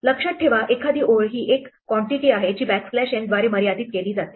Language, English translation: Marathi, Remember a line is a quantity which is delimited by backslash n